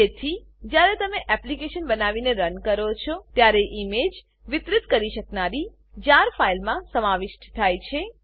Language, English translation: Gujarati, Therefore, when you build and run the application, the image is included in the distributable JAR file